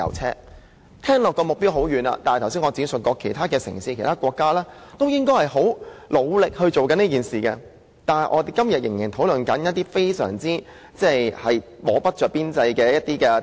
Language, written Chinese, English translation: Cantonese, 這目標聽起來好像很遙遠，但我剛才也指出，其他城市和國家現正努力做好這件事，但我們今天仍然在討論一些不着邊際的政策。, The target sounds very distant but as I pointed out just now other cities and countries are now working hard on this task but today we are still discussing some policies that lead us to nowhere